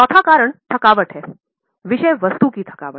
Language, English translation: Hindi, The fourth reason is exhaustion